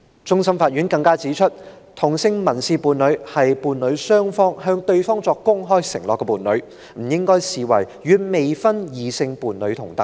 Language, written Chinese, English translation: Cantonese, 終審法院更指出，同性民事伴侶是伴侶雙方向對方作出公開承諾的伴侶，不應被視為與未婚異性伴侶同等。, The Court of Final Appeal stated further that same - sex civil partners are two parties having made openly a commitment to each other of entering into a settled marriage - like relationship and should not be regarded as equivalent to unmarried partners of opposite sex